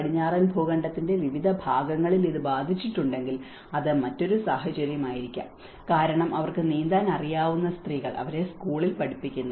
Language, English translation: Malayalam, It may be a different case if it has affected in a different part of the Western continent because the women they know how to swim; they are taught in the school